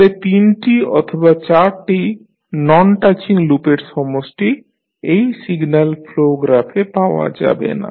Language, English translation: Bengali, So, set of three or four non touching loops are not available in this signal flow graph